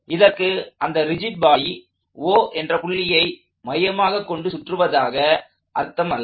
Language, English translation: Tamil, That does not mean the rigid body is rotating about O